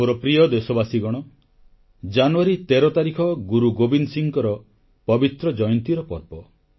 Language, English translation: Odia, My dear countrymen, January 13 is the date ofthe sacred festival observed in honour of Guru Gobind Singh ji's birth anniversary